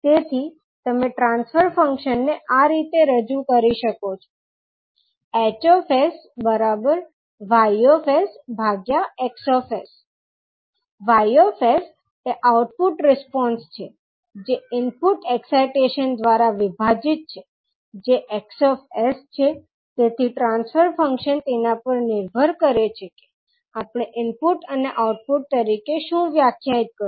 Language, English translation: Gujarati, So, you can represent transfer function at H s is nothing but Y s, Y s is nothing but output response divided by the input excitation that is X s so the transfer function depends on what we defined as input and output